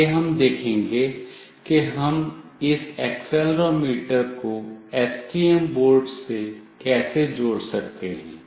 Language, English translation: Hindi, Next we will look into how we can connect this accelerometer with STM board